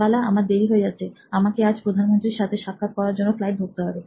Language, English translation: Bengali, Now Bala, it is bit late I have to go to catch a flight because I have to go and meet the Prime Minister